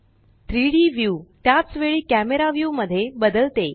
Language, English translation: Marathi, The 3D view switches to the camera view at the same time